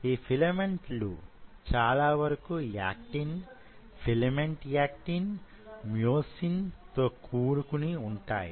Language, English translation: Telugu, And those filament mostly are actin and filament, actin and myosin